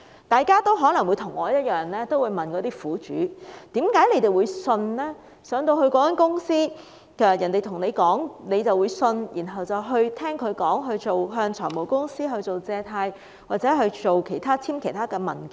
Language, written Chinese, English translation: Cantonese, 大家可能與我一樣，會問苦主為何進入那間公司，人家說甚麼就相信，然後向財務公司借貸或簽署其他文件？, Like me Members may ask why these victims went to the office of the company believed whatever others said and then borrowed money from finance companies or signed documents